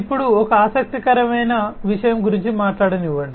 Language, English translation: Telugu, Now, let me talk about an interesting thing